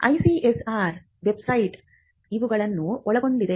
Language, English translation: Kannada, Now, this is what the ICSR website covers